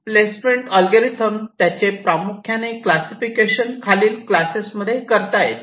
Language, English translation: Marathi, now talking about the placement algorithms, the placement algorithms can be classified into broadly these classes